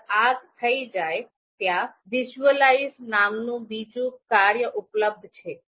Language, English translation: Gujarati, Once this is done, there is another function that is available to us called visualize